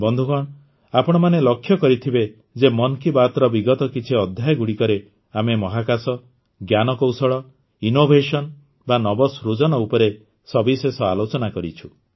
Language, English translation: Odia, Friends, you must have noticed that in the last few episodes of 'Mann Ki Baat', we discussed a lot on Space, Tech, Innovation